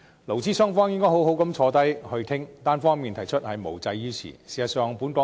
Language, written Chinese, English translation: Cantonese, 勞資雙方應該好好坐下來討論，單方面提出是無濟於事的。, Employers and employees should sit down and hold discussions as unilateral proposals will not help the cause